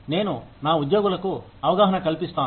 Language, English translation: Telugu, I educate my employees